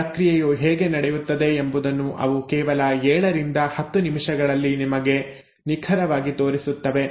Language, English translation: Kannada, In just 7 to 10 minutes, they exactly show you how the process is happening